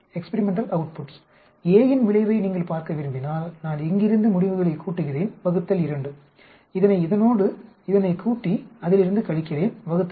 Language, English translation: Tamil, If you want to look at effect of B, I add up the results from these 2 experiments divided by 2 subtract it from these 2 experiment divide by 2 that is average